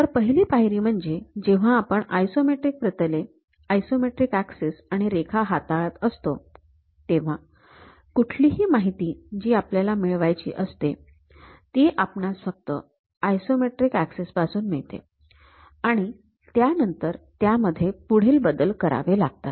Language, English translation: Marathi, So, the first step when you are handling on these isometric planes, isometric axis and lines; any information we have to get it from this isometric axis information only, that has to be modified further